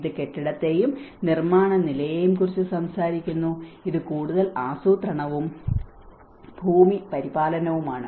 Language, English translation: Malayalam, It talks about the building and construction level; this is more of a planning and land management